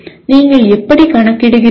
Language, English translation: Tamil, That is how do you calculate